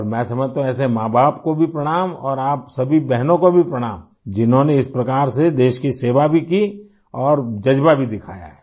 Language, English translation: Hindi, And I feel… pranam to such parents too and to you all sisters as well who served the country like this and displayed such a spirit also